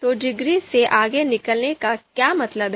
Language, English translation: Hindi, So what do we mean by outranking degree